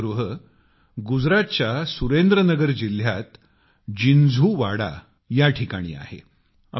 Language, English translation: Marathi, This light house is at a place called Jinjhuwada in Surendra Nagar district of Gujarat